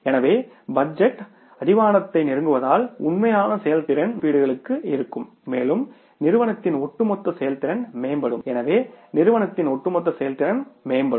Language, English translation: Tamil, So, shorter the budget horizon, nearer the actual performance will be to the budgeted estimates and the overall performance of the firm will improve